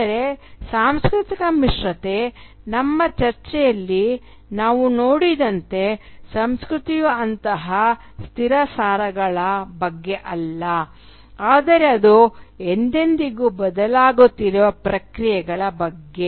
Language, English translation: Kannada, But as we have seen in our discussion of cultural hybridity, culture is not about such fixed essences but it is about ever changing and ever transforming processes